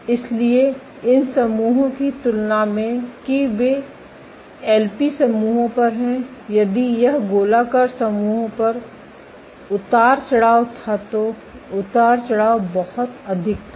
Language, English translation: Hindi, So, compared to on these islands that they on the LP islands if this was the fluctuation on the circular islands the fluctuation was much more